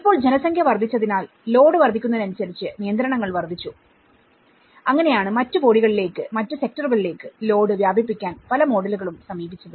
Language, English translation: Malayalam, So now, as the population have increased as the constraints have increased as the load has increased and that is where many of the models have approached on spreading the load to the other sectors the other bodies